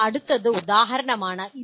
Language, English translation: Malayalam, Now next is Exemplify